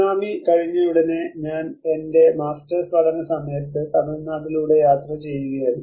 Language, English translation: Malayalam, When I was traveling during my masters time immediately after the tsunami, I was travelling in Tamil Nadu